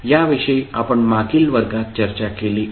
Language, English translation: Marathi, Now, these we have discussed in the previous class